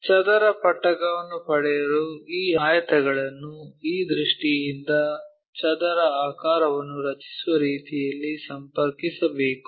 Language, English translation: Kannada, To get square prisms we have to connect these rectangles in such a way that from this view it makes square